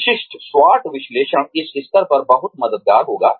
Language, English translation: Hindi, The typical SWOT analysis, will be very helpful, at this stage